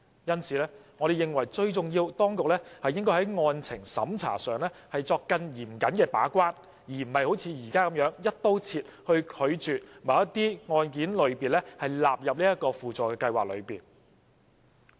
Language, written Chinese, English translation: Cantonese, 因此，我們認為，最重要的是當局須在案情審查上作更嚴謹的把關，而不是"一刀切"地拒絕把某些個案類別納入輔助計劃。, Thus we hold that it is most important for the Government to play a more stringent gate - keeping role in conducting merits tests instead of refusing to include certain categories of cases under SLAS in an across - the - board manner